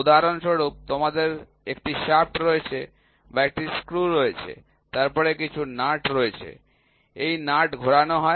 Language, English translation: Bengali, For example, you have a shaft or you have a screw, then you have some a nut, this nut is rotated